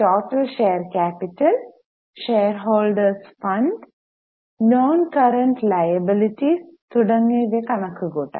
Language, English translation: Malayalam, So, total share capital, shareholders funds, non current liabilities, current liabilities and so on can be calculated